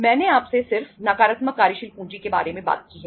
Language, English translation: Hindi, I just talked to you about the negative working capital